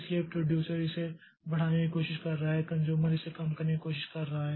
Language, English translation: Hindi, So, producer is trying to increment it, consumer is trying to decrement it